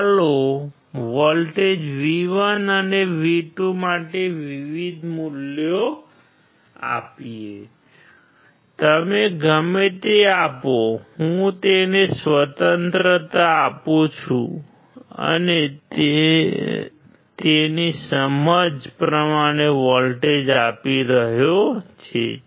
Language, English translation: Gujarati, Let us apply different values for V1 and V2; just apply whatever you like; I give him the freedom and he is applying voltage according to his understanding